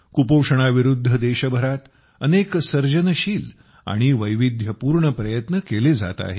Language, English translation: Marathi, Many creative and diverse efforts are being made all over the country against malnutrition